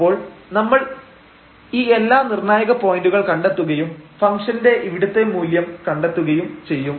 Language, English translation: Malayalam, So, we will find all these critical points and find the values of the function at all these points